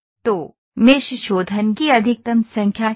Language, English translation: Hindi, So, what is the maximum number of mesh refinement